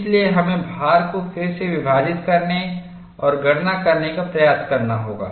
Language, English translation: Hindi, So, we have to go and try to redistribute the load and make the calculation